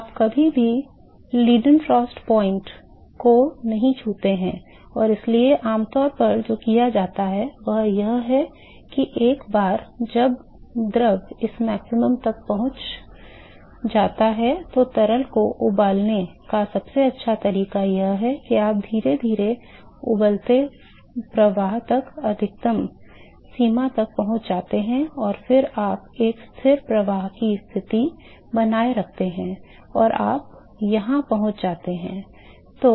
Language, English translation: Hindi, You never touch the Leidenfrost point and so, what is typically is done is that once the fluid reaches this maximum, so, the best way to boil a fluid is, you slowly go on reach the maxima on the boiling flow and then you maintain a constant flux condition maintain a constant flux and you reach here